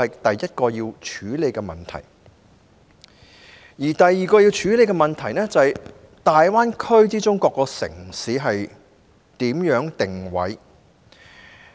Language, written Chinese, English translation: Cantonese, 第二個要處理的問題，是如何安排大灣區各個城市的定位。, The second issue to be addressed is about the positioning of each city in the Greater Bay Area